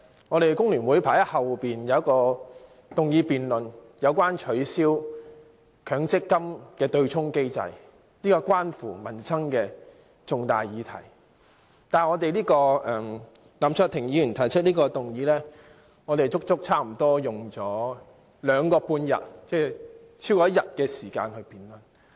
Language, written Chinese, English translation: Cantonese, 我們工聯會排在後面有一項有關取消強積金對沖機制的議案辯論，是關乎民生的重大議題，但林卓廷議員提出的議案差不多花了兩個半天，即超過1天時間辯論。, Why should I be so anxious? . The Hong Kong Federation of Trade Unions FTU will have a motion debate about abolishing the Mandatory Provident Fund offsetting mechanism which is an important livelihood issue . However we have spent almost two half days that is more than one day to discuss and debate on the motion moved by Mr LAM Cheuk - ting